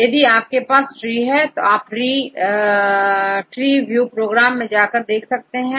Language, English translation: Hindi, Now, you can have the tree and you can view the tree using this program called TreeView right